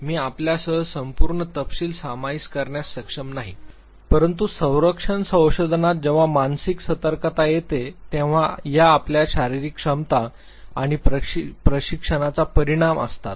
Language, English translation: Marathi, I will not be able to share the full detail with you, but in defense research when it comes to mental alertness these are your physical capabilities and the impact of training